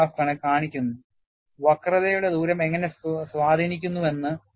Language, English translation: Malayalam, And this graph shows, how does the radius of curvature acts as an influence